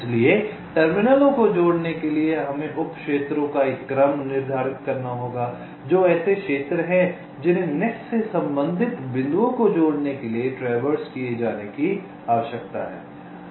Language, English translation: Hindi, ok, so for connecting the terminals, we have to determine a sequence of sub regions, the which are the regions that need to be traversed to connect the points corresponding to this net